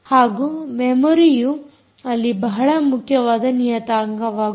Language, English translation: Kannada, what about memory as an important parameter there